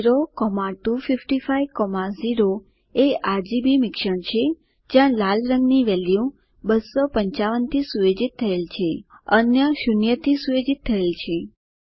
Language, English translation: Gujarati, 0,255,0 is a RGB Combination where only the green value is set to 255 and the others are set to 0